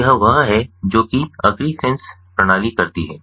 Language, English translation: Hindi, so this is what the agrisens system does